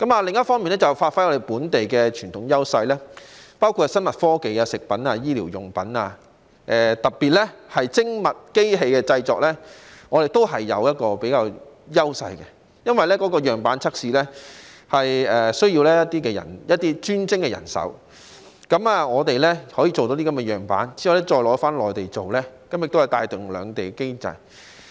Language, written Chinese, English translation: Cantonese, 另一方面，便是要發揮本地的傳統優勢，包括在生物科技、食品、醫療用品，以及特別是精密機器的製作方面，我們是具有優勢的，因為樣板測試需要一些專精的人手，我們可以製成樣板，然後再到內地製作，從而帶動兩地經濟。, Besides we should give play to our local traditional advantages including those in biotechnology foodstuffs medical supplies and in particular precision machinery production . We enjoy an edge since prototype testing requires specialized manpower . We can make prototypes followed by production on the Mainland thereby boosting the economies of both places